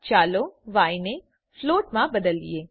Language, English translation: Gujarati, Let us change y to a float